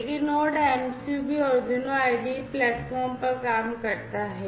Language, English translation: Hindi, But node Node MCU also works on the Arduino IDE platform, right